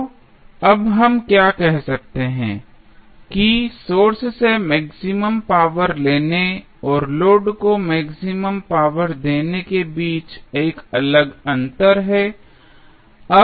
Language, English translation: Hindi, So, what we can say now, that, there is a distinct difference between drawing maximum power from the source and delivering maximum power to the load